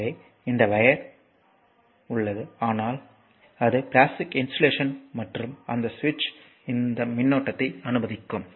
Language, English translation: Tamil, So, this wire is there, but it is your plastic insulation right and that switch I told you it will allow this allow the current